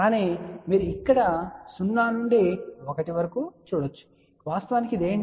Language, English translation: Telugu, But you can also see here this is from 0 to 1, what actually this is